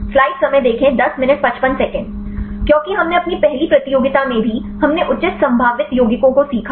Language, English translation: Hindi, Because we also in the first competition, we also learned the proper potential compounds